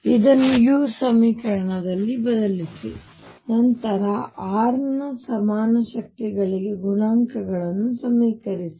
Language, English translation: Kannada, Substitute this in the equation for u, then equate coefficients for the equal powers of r